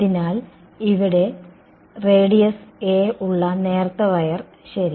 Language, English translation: Malayalam, So, thin wire over here with radius to be a, alright